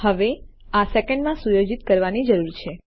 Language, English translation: Gujarati, Now this needs to be set in seconds